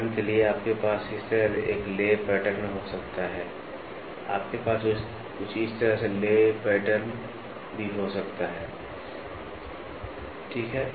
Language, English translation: Hindi, For example; you can have a lay pattern like this, you can have lay pattern like this, you can also have lay pattern something like this, ok